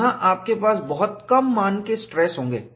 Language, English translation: Hindi, You will have very small value of stresses here